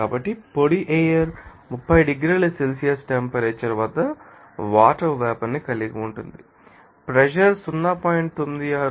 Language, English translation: Telugu, So, dry air contents water vapor at the temperature 30 degrees Celsius and pressure is 0